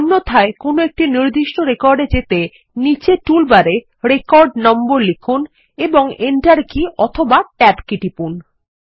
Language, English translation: Bengali, Alternately, to simply go to a particular record, type in the record number in the bottom toolbar and press enter key or the tab key